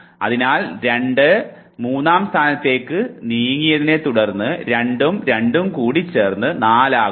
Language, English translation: Malayalam, So, 2 moved to the third position it became 2 into 2 which was 4 and this 5 moved to the top and this was repeated